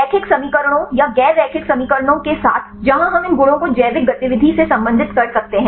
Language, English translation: Hindi, With the linear equations or non linear equations where we can relates these properties with the biological activity